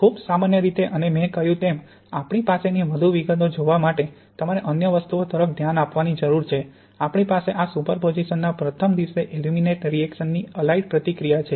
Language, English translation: Gujarati, Very generally and as I said, you need to look at other things to see the more details we have this superposition of this alite reaction and the aluminate reaction in the first day